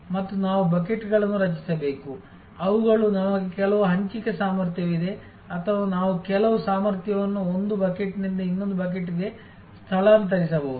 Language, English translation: Kannada, And we have to create the buckets in such a way that they, we have some allocable capacity or we can migrate some capacity from one bucket to the other bucket